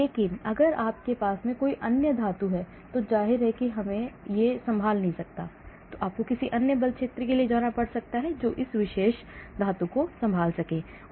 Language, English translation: Hindi, but if you have some other metal obviously it cannot handle, you may have to go for some other force field which can handle that particular metal